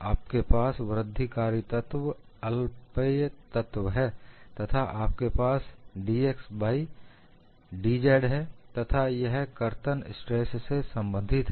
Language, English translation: Hindi, You have an incremental element infinities of an element, you have with d x d y d z and this is subjected to shear stress